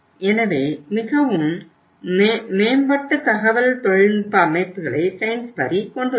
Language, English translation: Tamil, So Sainsbury also has say put in place the very improved IT systems